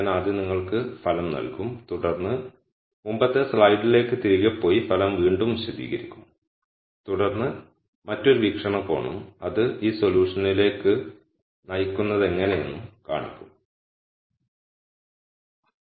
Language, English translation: Malayalam, I will first give you the result and then explain the result again by going back to the previous slide and then showing you another viewpoint and then how that leads to this solution